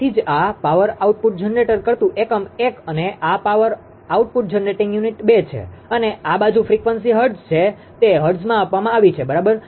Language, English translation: Gujarati, So, that is why this power output power output generating unit 1 and this is power output generating unit 2 and this side is frequency hertz, it is given in hertz, right